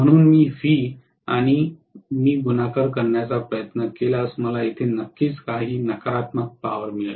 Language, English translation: Marathi, So, if I try to multiply V and I, I am definitely going to get some negative power here